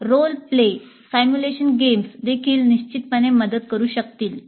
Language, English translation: Marathi, Role play simulation games also would definitely help